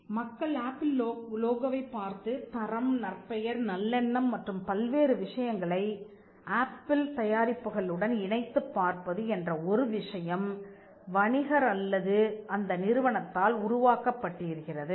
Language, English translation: Tamil, The fact that people look at the Apple logo and attribute quality reputation, goodwill and many other things to the product was created by the trader or by the business entity itself